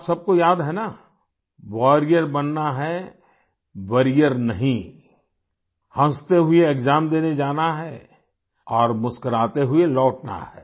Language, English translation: Hindi, Do all of you remember You have to become a warrior not a worrier, go gleefully for the examination and come back with a smile